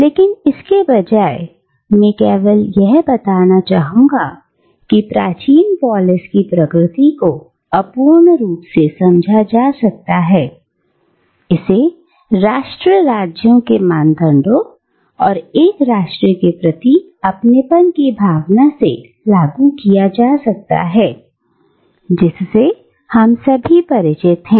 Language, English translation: Hindi, But rather, I would just like to point out that the nature of the ancient Greek polis can be understood, however imperfectly, by applying to it the parameters of nation states and one's sense of belongingness to a nation with which all of us are familiar